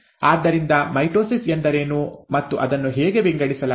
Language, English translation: Kannada, So, what is mitosis and how is it divided